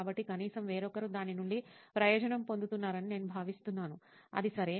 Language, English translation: Telugu, So I feel like at least if somebody else is benefitting from it, that is okay